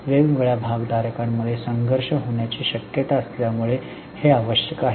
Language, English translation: Marathi, It is necessary because of the possibility of conflict between different stakeholders